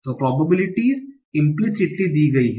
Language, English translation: Hindi, So probabilities are given implicitly